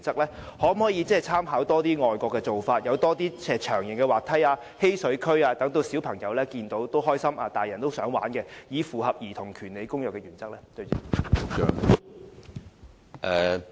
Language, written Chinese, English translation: Cantonese, 當局可否多參考外國遊樂場的做法，引進更多長形滑梯、嬉水區等，讓小朋友看到也感到開心，成年人看到也想一同參與，以符合《兒童權利公約》的原則？, In order to comply with the principles set forth by the United Nations Convention on the Rights of the Child will the authorities draw reference from overseas examples to introduce more long slides water play areas and the like that delight the children while making adults feel like playing along with the children on seeing those play facilities?